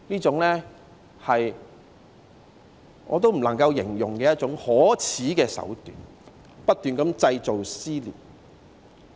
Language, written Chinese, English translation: Cantonese, 這些都是我無法形容的可耻手段，不斷地製造撕裂。, I would say that these acts are unspeakably shameful and they have been aggravating the social rifts continuously